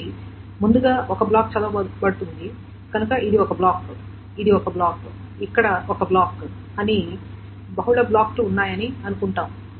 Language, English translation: Telugu, So, suppose there are multiple blocks, this is one block, this is one block, there is one block